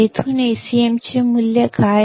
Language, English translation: Marathi, From here what is the value of Acm